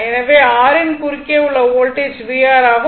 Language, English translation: Tamil, And this is your v R voltage across R